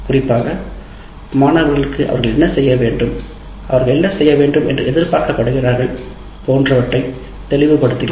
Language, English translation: Tamil, Especially it makes very clear to the students what they need to, what they need to do, what they are expected to do and so on